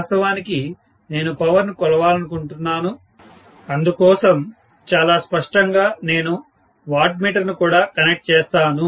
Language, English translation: Telugu, And of course, I would like to measure the power, so I would also connect a wattmeter very clearly, okay